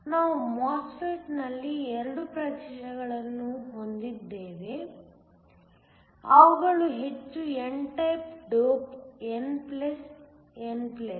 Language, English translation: Kannada, We have 2 regions within the MOSFET which are heavily n type dope n plus, n plus